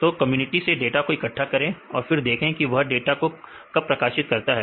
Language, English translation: Hindi, So, collect the data from the different communities right and then see when they publish the data